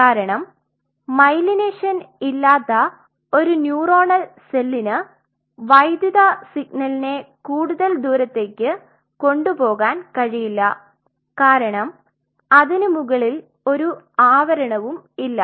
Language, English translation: Malayalam, Because a neuronal cell without its myelination will not be able to carry over the electrical signal to a long distance it will lost because there is no covering on top of it